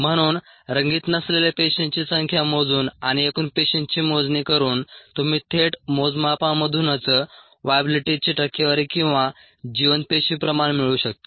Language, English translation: Marathi, so by counting the number of cells that are not coloured and by counting total of cells you can have percentage viablity or the viable cell concentration it'self from direct measurements